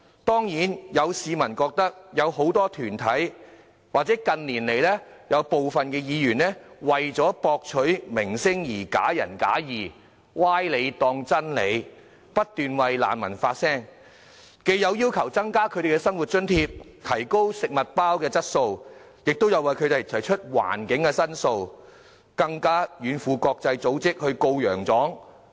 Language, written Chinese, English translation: Cantonese, 當然，有市民覺得有很多團體，或近年來有部分議員為了博取名聲而假仁假義，將歪理當真理，不斷為難民發聲，既有要求增加他們的生活津貼、提高食物包質素，亦有為他們提出居住環境的申訴，更向國際組織"告洋狀"。, Of course some people feel that many organizations or some Members in recent years have been playing wolf in a lambs skin for winning reputation . By treating specious arguments as the truth they continue to voice for the refugees . Apart from asking to increase their living allowance enhance the quality of food packets they also complain about their living environment and even lodge complaints to international organizations